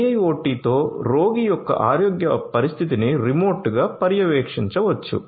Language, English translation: Telugu, With IIoT, one can monitor the patients health condition remotely